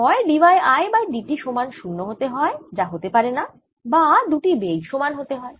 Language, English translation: Bengali, either i get that d y i by d t is zero, which is not possible, or velocities are the same